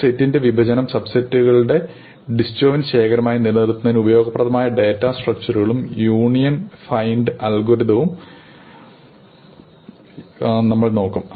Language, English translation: Malayalam, And we will look at a very useful data structure to maintain a partition of a set into a disjoint collection of subsets; the so called union find algorithm